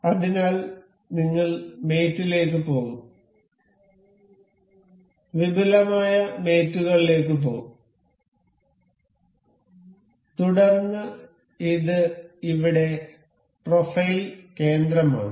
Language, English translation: Malayalam, So, we will go to mate, we will go to advanced mates; then, this is profile center over here